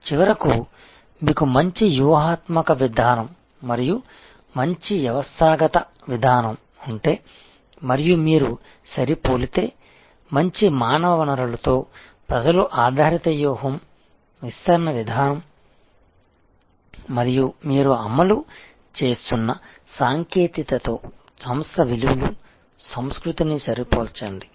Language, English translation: Telugu, So, finally, therefore, if you have a good strategic approach and a good systemic approach and you match, that with good human resource people oriented strategy deployment approach and you match the organizations values culture with the technology that you are deploying